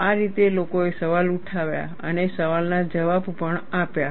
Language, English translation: Gujarati, This is the way people raised the question and answered the question also